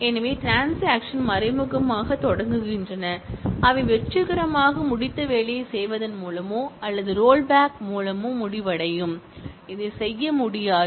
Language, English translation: Tamil, So, come transactions implicitly begin and they end by either committing the work that they have successfully finished or rolling back that, this cannot be done